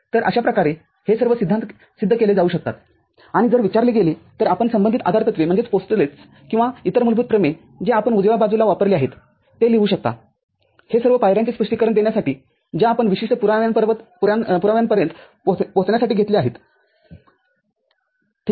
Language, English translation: Marathi, So, that way all the these theorems can be proved and if it is asked you can write corresponding postulates or other basic theorem that you have used in the right hand side to explain the steps that you have taken to arrive at that particular proof, ok